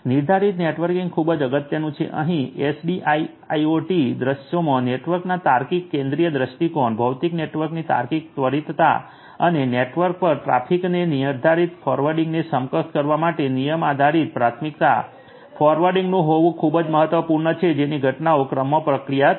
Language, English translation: Gujarati, Deterministic networking is very important here it is very important in SDIIoT scenarios to have the logical centralized view of the network, logical instantiation of the physical network and so on and rule based priority forwarding has to be implemented to enable deterministic forwarding of traffic over the network so that the events are processed in order